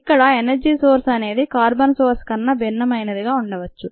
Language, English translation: Telugu, it could be the same as carbon source or it could be different